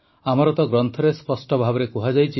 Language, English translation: Odia, It is clearly stated in our scriptures